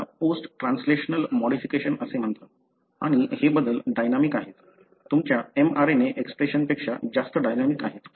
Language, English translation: Marathi, These are called as post translational modification and these changes are dynamic, more dynamic than your mRNA expression